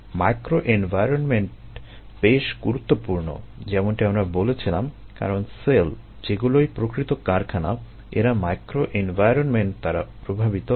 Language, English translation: Bengali, from an industry point of view, microenvironment is important, as we mentioned, because cells, the actual factories, they are influenced by the microenvironment